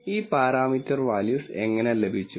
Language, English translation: Malayalam, And how did we get these parameter values